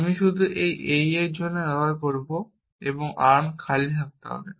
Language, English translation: Bengali, I will just use for this AE and arm must be empty